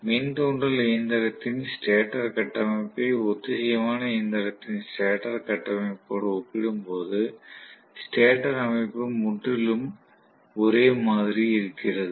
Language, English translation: Tamil, The stator structure is absolutely similar when I compare the induction machine stator structure with that of the synchronous machine stator structure, right